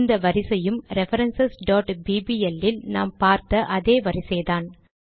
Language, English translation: Tamil, And this order is the same order, that we saw in references.bbl